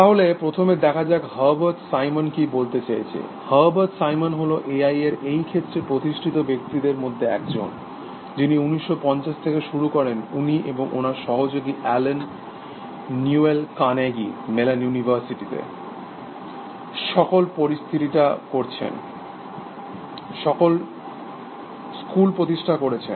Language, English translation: Bengali, So, let us see first, what Herbert Simon has to say, Herbert Simon was one of the founding persons in this area of A I, starting in the 1950s, he and his collaborator Allen Newell, they founded the school at Carnegie Mellon university